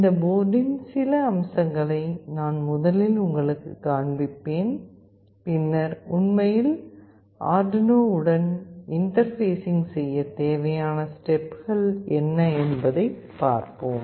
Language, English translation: Tamil, I will just show you some of the features of this board first and then what are the steps that are required to actually interface with Arduino